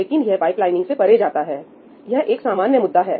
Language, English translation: Hindi, Well, this goes beyond pipelining, this is an issue in general